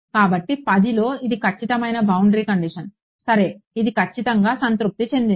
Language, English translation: Telugu, So, in 1D this is an exact boundary condition ok, it is exactly satisfied